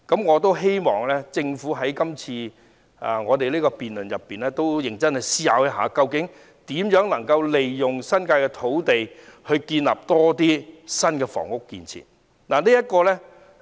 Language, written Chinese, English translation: Cantonese, 我希望政府在今次的辯論中認真思考一下，如何利用新界的土地，興建更多新房屋。, I hope the Government can seriously consider in this debate how to utilize the land in the New Territories to build more housing